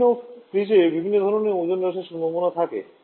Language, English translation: Bengali, Different refrigerants has different kind of ozone depletion potential